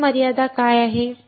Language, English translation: Marathi, What is the next limitation